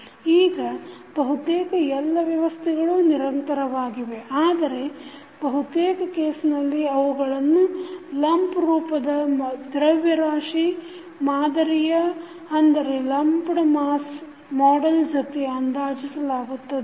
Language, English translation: Kannada, Now, in reality almost all systems are continuous but in most of the cases it is easier to approximate them with lumped mass model